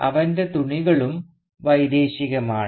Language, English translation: Malayalam, And his cloths too are foreign